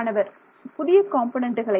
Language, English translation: Tamil, We introduce new components